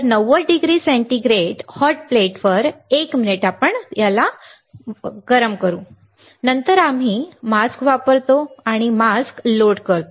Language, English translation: Marathi, So, 90 degree centigrade, 1 minute on hot plate correct, then we use mask we load the mask load the mask